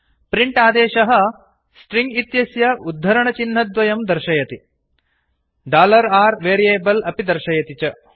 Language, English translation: Sanskrit, print command displays the string within double quotes and also displays variable $r